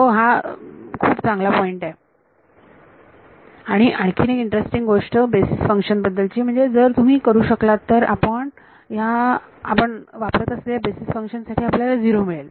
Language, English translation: Marathi, Yeah that is a good point and another very interesting thing about these basis functions if you do this you get a 0 for the basis functions we are using